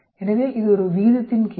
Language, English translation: Tamil, So it is just the question of ratio